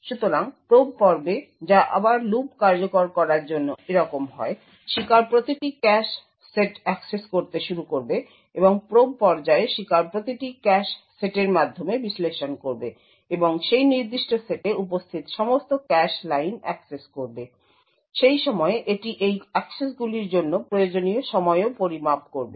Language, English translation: Bengali, So in the probe phase which is again this for loop being executed the victim would start to access every cache set and in the probe phase the victim would parse through every cache set and access all the cache lines present in that particular set and at that time it would also measure the time required to make these accesses